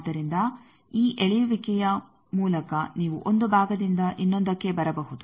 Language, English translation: Kannada, So, by this pulling you can come to 1 part to other